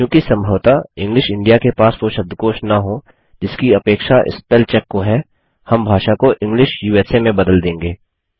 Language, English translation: Hindi, Since English India may not have the dictionary required by spell check, we will change the language to English USA